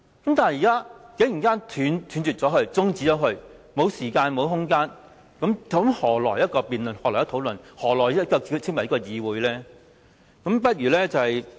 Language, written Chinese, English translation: Cantonese, 可是，現時他竟然想中止辯論，不再給予時間和空間，那又何來辯論，怎可以再稱為議會呢？, But now he wants to adjourn the debate and stop giving us time and a venue to do so . Then how are we going to debate? . Can we still call this a Council?